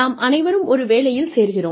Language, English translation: Tamil, We all join a job